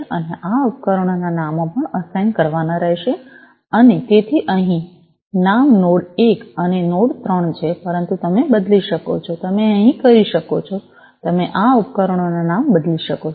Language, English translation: Gujarati, And the names of these devices will also have to be assigned and so, here the names are node 1 and node 3, but you could change, you could over here, you could change the names of these devices